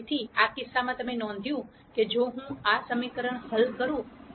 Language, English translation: Gujarati, So, in this case you notice that if I solve this equation